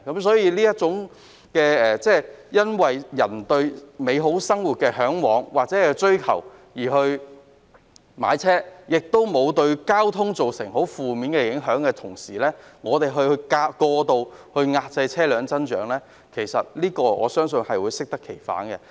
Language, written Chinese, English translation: Cantonese, 所以，如果市民只為嚮往或追求美好的生活而買車，而沒有對交通造成負面影響，我相信過度遏制車輛增長只會適得其反。, Therefore if people buy a car just for having a better life and without causing any adverse impact on the traffic I believe any measures that excessively curb vehicle growth would only be counterproductive